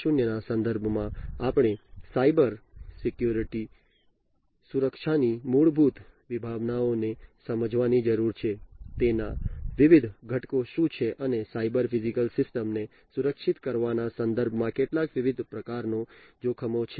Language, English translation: Gujarati, 0 we need to understand the basic concepts of Cybersecurity, what are the different elements of it, and some of the different types of threats that are there in terms of securing the cyber physical systems in the industries